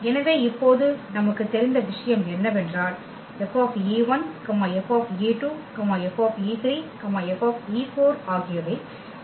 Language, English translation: Tamil, So, what we know now that this F e 1, F e 2, F e 3, F e 4 they will span the image F